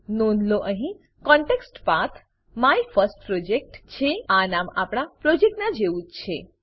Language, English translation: Gujarati, Note that Context Path here is MyFirstProject, this is the same name as our Project